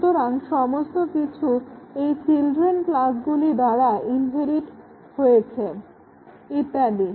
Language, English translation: Bengali, So, all that is inherited by these children classes and so on